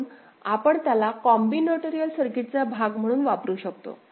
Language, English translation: Marathi, So, this is the combinatorial part of the circuit